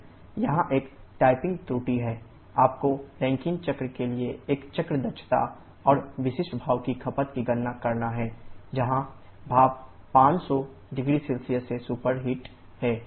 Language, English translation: Hindi, But here there is a typing error you have to calculate a cycle efficiency and specific steam consumption for Rankine cycle, where the steam is superheated to 500 0C